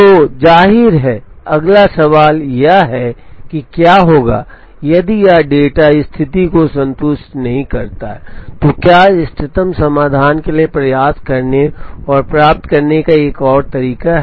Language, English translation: Hindi, So obviously, the next question that would come is, what happens if this data does not satisfy the condition, is there another way to try and get to the optimum solution